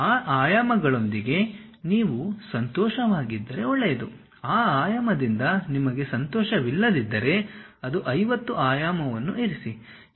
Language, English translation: Kannada, If you are happy with that dimensions, it is ok if you are not happy with that dimension just put 50